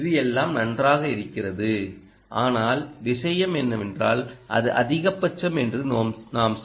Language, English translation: Tamil, this is all fine, but you know the thing is, ah, that is maximum